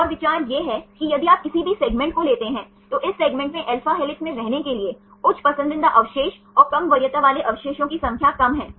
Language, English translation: Hindi, And the idea is if you take any segment, this segment have high preferred residues to be in alpha helix and less number of low preference residues